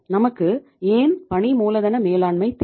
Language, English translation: Tamil, Why we need the working capital